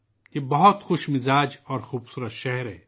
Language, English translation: Urdu, It is a very cheerful and beautiful city